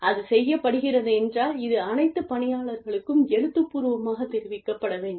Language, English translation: Tamil, And, if it is being done, then this should be communicated, to all employees, in writing